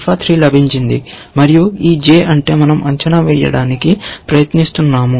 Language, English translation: Telugu, This has got some alpha 3 and this j is what we are trying to evaluate